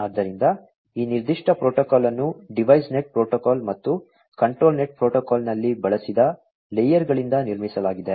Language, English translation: Kannada, So, this particular protocol is constructed from layers used in the device net protocol and the control net protocol